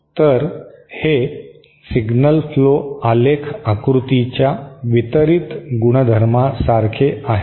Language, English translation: Marathi, So, this is like the distributed property of signal flow graph diagram